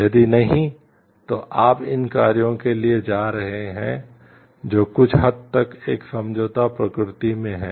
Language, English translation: Hindi, If no, then you are going for these actions which are somewhat in a compromised nature